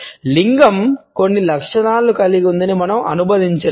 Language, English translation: Telugu, We cannot also associate a gender is having certain characteristics and traits